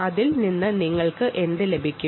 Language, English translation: Malayalam, what will you end up with this